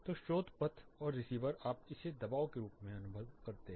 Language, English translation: Hindi, So, source path and receiver you perceive it as pressure